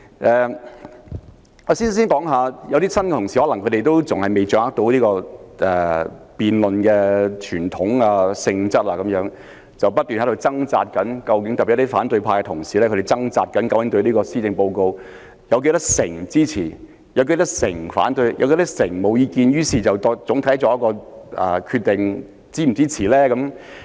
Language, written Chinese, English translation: Cantonese, 一些新同事可能仍未能掌握立法會辯論的傳統和性質，不斷在掙扎，特別是反對派的同事，他們竭力指出對特首的施政報告表示支持、反對及沒有意見的人數比例，然後作出整體上是否支持的決定。, Some new Members may not grasp the tradition and nature of debates in the Legislative Council . These Members particularly those of the opposition camp have a hard time trying hard to point out the ratio of people who support oppose or have no comments on the Chief Executives Policy Address and then they make a decision on whether they would support the Policy Address in general . Some Members do not only take into account the ratio